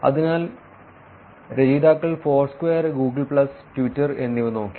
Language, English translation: Malayalam, So, in this authors looked at Foursquare, Google plus and Twitter